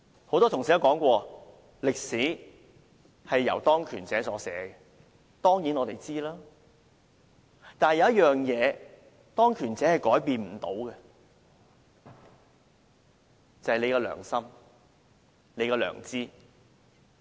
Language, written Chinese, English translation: Cantonese, 很多同事也說，歷史是由當權者所寫的，我們當然知道，但有一樣東西是當權者也不能改變的，便是大家的良心、大家的良知。, Many colleagues said that history is written by those in power and this we certainly know . But there is one thing that not even the powers that be can change and that is our conscience our scruple